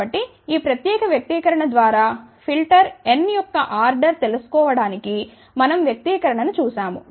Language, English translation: Telugu, So, we had seen the expression to find out the order of the filter n given by this particular expression